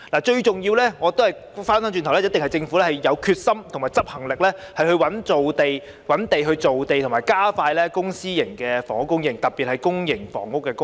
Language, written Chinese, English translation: Cantonese, 最重要的一點，一定是政府必須有決心和執行力，覓地造地和加快公私營房屋供應，特別是公營房屋的供應。, Certainly the most important point is that the Government must have the determination and the power of execution to find and create land as well as expedite the supply of public and private housing especially the supply of public housing